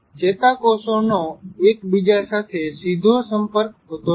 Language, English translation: Gujarati, Neurons have no direct contact with each other